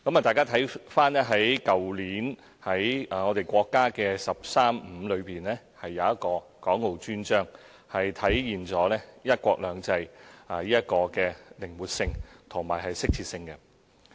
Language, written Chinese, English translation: Cantonese, 大家可看到，去年國家"十三五"規劃中的《港澳專章》正體現"一國兩制"的靈活性和適切性。, As we can see the Dedicated Chapter on Hong Kong and Macao in the National 13 Five - Year Plan promulgated last year has exactly manifested the flexibility and suitability of one country two systems